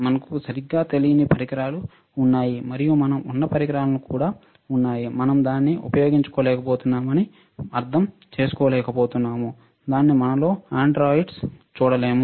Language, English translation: Telugu, There are devices that we even do not know right, and there are there are equipment that we are we are not able to understand we are not able to utilize it we are not able to look at it in our undergrads, right